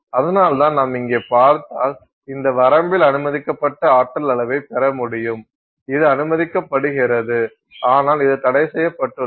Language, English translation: Tamil, And that is why if you see here you get an allowed energy level in this range, this is allowed and this is forbidden